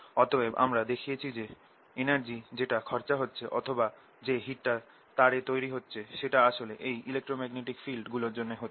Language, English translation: Bengali, so we have shown that this energy which is being spent or which is being the heat which is being produced in the wire is actually brought in through these electromagnetic fields